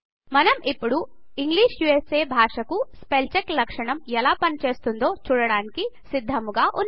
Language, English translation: Telugu, So we are now ready to see how the spellcheck feature works for the language, English USA